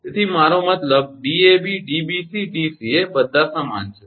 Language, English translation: Gujarati, So, I mean Dab Dbc Dca all are same